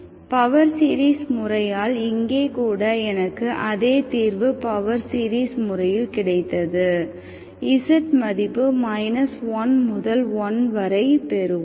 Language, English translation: Tamil, You can see that y1 z is my z, okay, I got the same solution even here by the power series method, z is between minus1 to1, okay